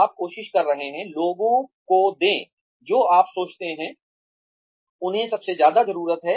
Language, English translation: Hindi, You are trying to, give people, what you think, they need most